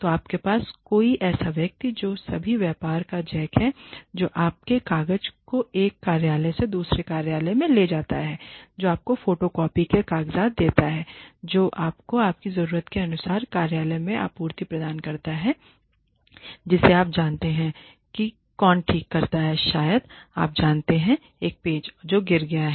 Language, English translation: Hindi, So, you have somebody who is a jack of all trades, who takes your papers from one office to another who gives you photocopy papers, who gives you the office supplies you need, who you know who fixes probably you know a screw that has fallen off